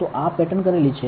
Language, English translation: Gujarati, So, this is patterned